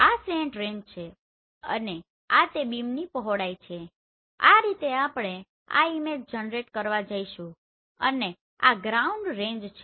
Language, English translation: Gujarati, This is the slant range and this is the beam width this is how we are going to generate this image and this is the ground range